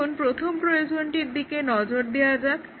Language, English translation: Bengali, Now, let us look at the first requirement